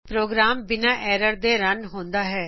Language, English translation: Punjabi, Program runs without errors